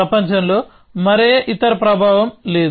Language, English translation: Telugu, So, there is no other influence in the world